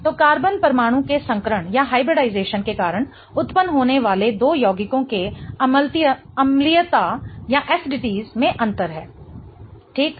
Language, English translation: Hindi, So, that's the difference in the acidities of the two compounds that arises because of the hybridization of carbon atom